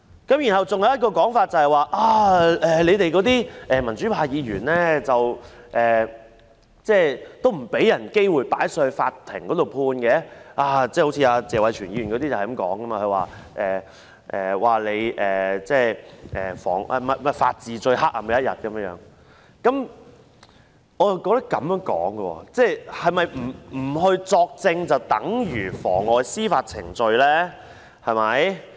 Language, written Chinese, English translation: Cantonese, 還有一種說法是，我們這些民主派議員不讓人家有機會交由法院判決，例如謝偉銓議員說，這是法治最黑暗的一天云云，但我又認為，不作證是否便等於妨礙司法程序呢？, Another contention is that we Members of the pro - democracy camp would not let people have the opportunity to refer the matter to the Court for ruling . For example Mr Tony TSE said that this was the darkest day for the rule of law so on so forth . However I wonder whether not giving evidence is equal to obstructing the course of justice